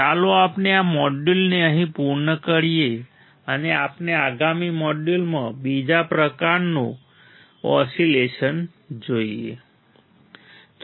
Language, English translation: Gujarati, Let us complete this module here and we will see in the next module the another kind of oscillator